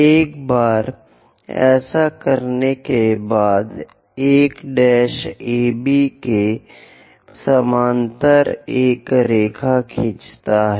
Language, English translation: Hindi, Once that is done, through 1 dash draw a line parallel to AB